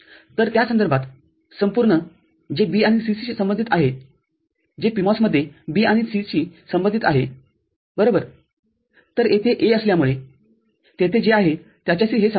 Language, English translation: Marathi, So, the whole of it the corresponding what corresponds to B and C, what corresponds to B and C in PMOS – right; so, that will be in parallel with what is there as A over here